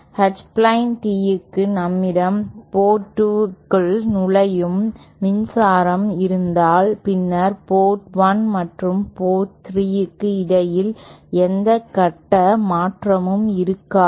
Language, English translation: Tamil, Whereas for an H plane tee, if we have power entering port 2, then there will be no phase shift between Port 1 and port 3